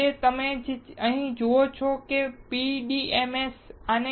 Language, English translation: Gujarati, Finally, what you see here is PDMS